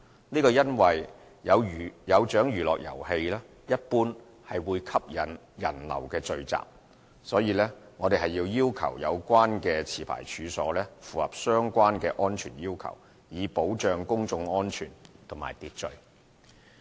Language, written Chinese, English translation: Cantonese, 這是因為"有獎娛樂遊戲"一般會吸引人流聚集，因此我們要求有關持牌處所符合相關的安全要求，以保障公眾安全和秩序。, This is because amusements usually draw crowds . We prescribe that the licensed premises concerned shall meet relevant safety requirements so as to safeguard public safety and order